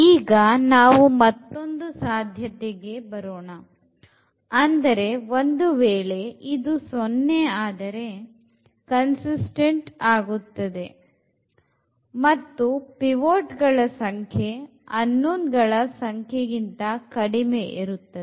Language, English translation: Kannada, And, now coming to the another possibility that if this is 0 means we have the consistency and the number of pivot elements is less than the number of unknowns